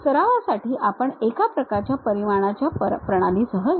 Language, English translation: Marathi, For practice we will go with one kind of system of units